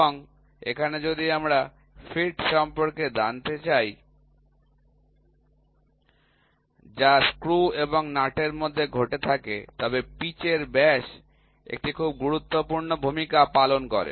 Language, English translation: Bengali, And, here if we want to talk about the fit, which has to happen between the screw and nut then pitch diameter plays a very very import role